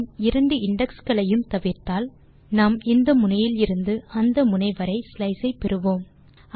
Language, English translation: Tamil, If we skip both the indexes, we get the slice from end to end, as we already know